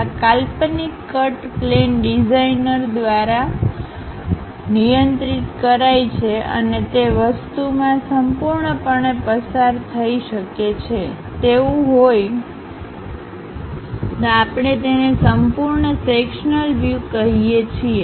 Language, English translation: Gujarati, This imaginary cut plane is controlled by the designer and can go completely through the object; if that is happening, we call full sectional view